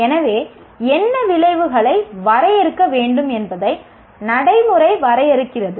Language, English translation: Tamil, So the practice defines what outcomes should be defined